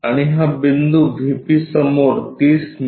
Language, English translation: Marathi, And this point 30 mm in front of VP